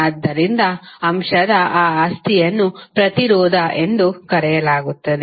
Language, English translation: Kannada, So, that property of that element is called resistance